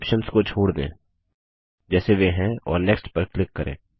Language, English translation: Hindi, Leave all the options as they are and click on Next